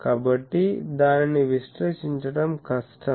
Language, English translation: Telugu, So, that is difficult to evaluate